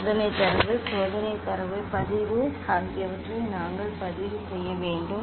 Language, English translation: Tamil, we have to record experimental data, experimental data recording